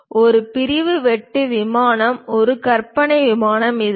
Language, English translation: Tamil, The sectional cut plane is an imaginary plane, this is the one